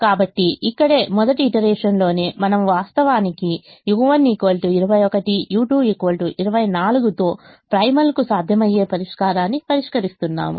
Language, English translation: Telugu, so right here, in the very first iteration, we are actually solving a feasible solution to the primal with u one equal to twenty one, u two equal to twenty four